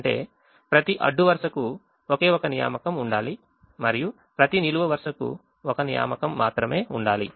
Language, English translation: Telugu, each person will get only one job, which means every row should have only one assignment and every column should have only one assignment